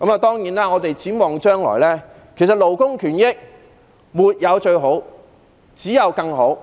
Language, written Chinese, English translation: Cantonese, 當然，我們要展望將來，其實勞工權益沒有最好、只有更好。, Of course we have to be forward - looking . In fact there are no perfect rights and interests of labour as they can always be improved